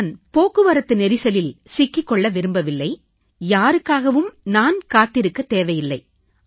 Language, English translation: Tamil, I don't have to be caught in a traffic jam and I don't have to stop for anyone as well